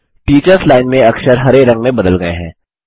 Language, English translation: Hindi, The characters in the Teachers Line have changed to green